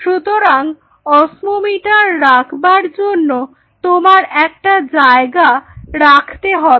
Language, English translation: Bengali, So, you have to have a spot where you will be putting the osmometer ok